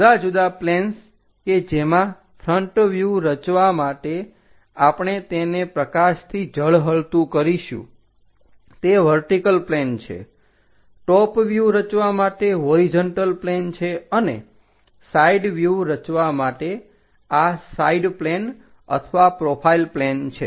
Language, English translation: Gujarati, The different planes are what we are going to shine a light, so that we are going to construct such kind of front views on to the vertical planes, top views on to a horizontal plane, and side views on to this side planes or profile planes